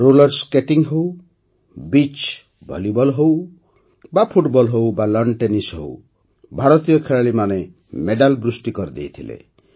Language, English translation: Odia, Be it Roller Skating, Beach Volleyball, Football or Lawn Tennis, Indian players won a flurry of medals